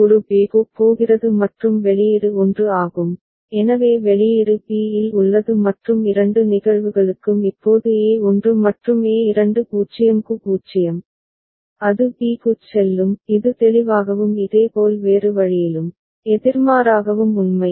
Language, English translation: Tamil, And a is going to b and the output is 1, so output is contained in b and for both the cases now a1 and a2 right for 0, it will go to b is it clear and similarly the other way, the opposite is also true